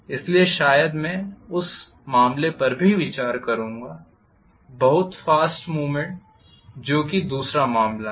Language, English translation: Hindi, So maybe I would consider that case as well, very fast movement which is case 2